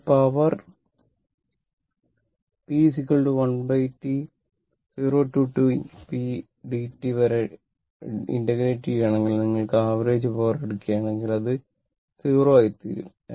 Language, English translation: Malayalam, And if you take the power P is equal to 1 upon T 0 to T p dt average power, if you take, it will become 0 right